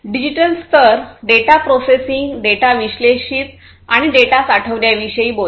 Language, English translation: Marathi, Digital layers talks about storing the data analyzing the data processing the data and so on